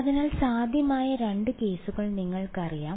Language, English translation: Malayalam, So, there are you know 2 cases possible